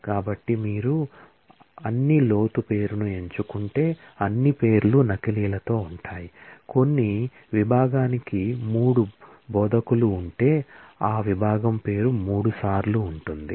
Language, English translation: Telugu, So, if you do select all depth name, then all the names will feature with duplicates, if some department had 3 instructors the name of that department will feature thrice